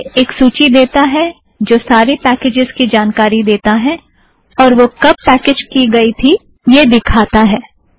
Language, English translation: Hindi, It gives a list of all the known packages and when it was packaged